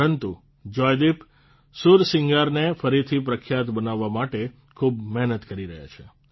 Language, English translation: Gujarati, But, Joydeep is persevering towards making the Sursingar popular once again